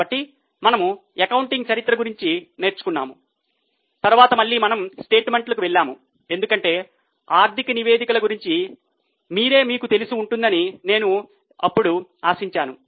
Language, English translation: Telugu, Then again we went to statements because by now I had hoped that you would have familiarize yourself about the financial statements